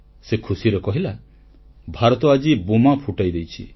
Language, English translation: Odia, " And he replied, "India has exploded the bomb today